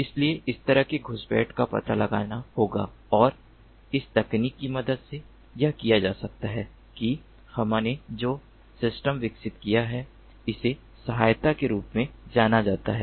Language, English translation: Hindi, so, so this kind of intrusions have to be detected, and this can be done with the help of this technology, the system that we have developed, which is known as the aid